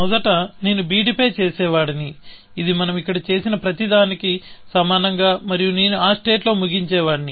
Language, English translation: Telugu, First, I would have done on b d, which amounts to everything that we have done here, and I would have ended up in that state